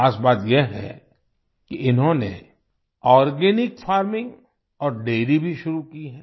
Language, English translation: Hindi, The special thing is that they have also started Organic Farming and Dairy